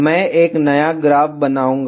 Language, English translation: Hindi, I will create a new graph